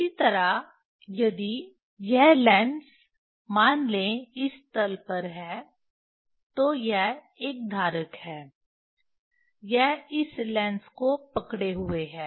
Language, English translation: Hindi, Similarly, if this lens it is say on this plane, it is a say holder, it is a holding this lens